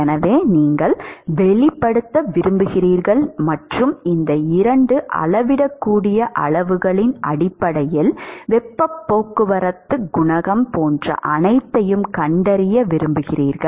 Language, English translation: Tamil, So, you would like to express and you would like to detect the heat transport coefficient etcetera everything in terms of these two measurable quantities